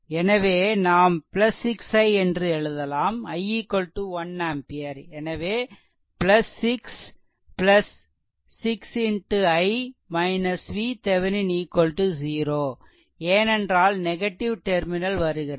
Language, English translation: Tamil, So, I can write here plus 6 right and i is equal to you got 1 ampere right; so, plus 6 plus 6 into i minus V Thevenin is equal to 0 because it is encountering negative terminal passed